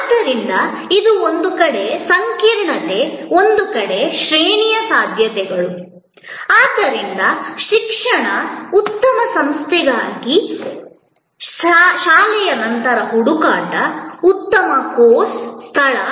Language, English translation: Kannada, So, this on one hand complexity on another hand, a huge range of possibilities, so education, post school search for a good institution, a good course, location